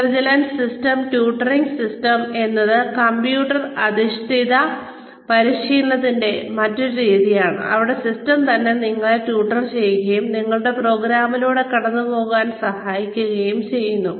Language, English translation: Malayalam, intelligent tutoring system is, another method of computer based training, where the system itself, tutors you, and helps you get through, your program